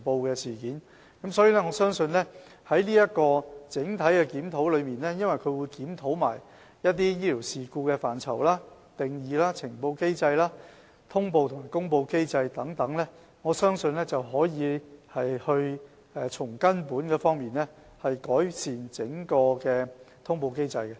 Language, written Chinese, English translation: Cantonese, 由於今次這項整體檢討，會一併檢討醫療事故的範疇、定義、呈報機制、通報和公布機制等，所以我相信可以從根本改善整個通報機制。, Since an overall and comprehensive review will be conducted this time around which covers examination on the scope and definition of the events related to clinical incidents the reporting mechanism as well as notification and announcement mechanisms and so on therefore I believe that we can make fundamental improvement to the overall notification mechanism